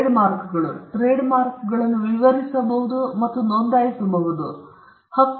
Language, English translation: Kannada, Trademarks; trademarks can be described and they can be registered